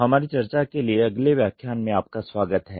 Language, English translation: Hindi, Welcome to the next lecture for our discussion